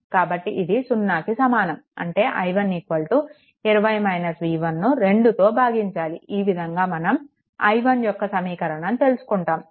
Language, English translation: Telugu, So, this is is equal to 0; that means, your i 1 is equal to 20 minus your v 1 divided by 2, this is the equation for i 1 this way you have to obtain